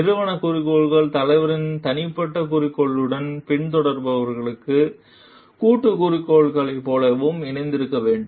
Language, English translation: Tamil, The organizational goal has to get aligned with the leaders individual goal and that to of the followers like collective goal